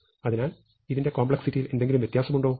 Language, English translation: Malayalam, So, is this any different in complexity